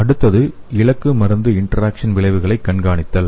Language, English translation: Tamil, The next is the monitoring the target drug interaction outcomes